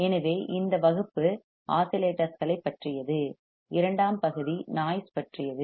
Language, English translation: Tamil, So, this class is about oscillators and second part would be about noise all right